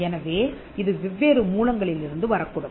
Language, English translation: Tamil, So, it could come from different sources